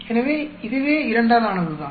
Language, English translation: Tamil, So, this itself is made up of 2